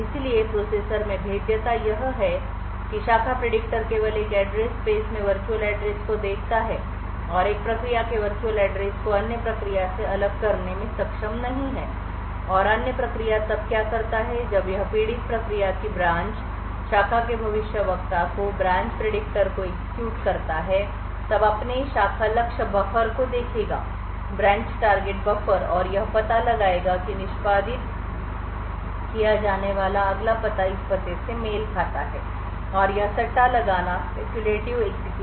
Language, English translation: Hindi, The vulnerability in this processor is that the branch predictor only looks at the virtual address in an address space and is not able to separate the virtual address of one process from and other process does when this branch in the victim also executes the branch predictor would look up its branch target buffer and it would find that the next address to be executed corresponds to this address and it would start to speculatively execute this